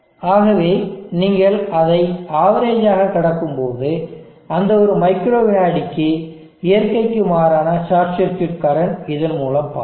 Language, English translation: Tamil, So when you pass it through as averager it will average out that for that one micro second the unnatural short circuit current that will flow through this